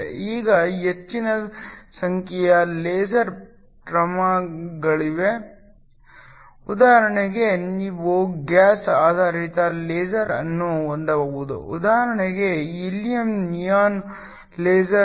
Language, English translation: Kannada, Now, there are large number of LASER materials that are possible for example, you can have a gas based laser typical example would be a helium neon laser